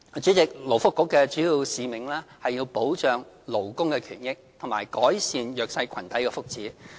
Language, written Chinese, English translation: Cantonese, 主席，勞工及福利局的主要使命是保障勞工權益和改善弱勢群體的福祉。, President the primary mission of the Labour and Welfare Bureau is to protect labour interest and the well - being of the underprivileged